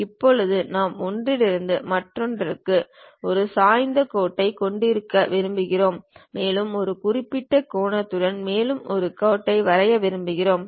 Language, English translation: Tamil, Now, I would like to have an inclined line from one to other and I would like to draw one more line with certain angle